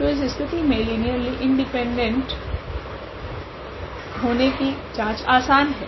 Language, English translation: Hindi, So, that says easy check for the linear independency in for this case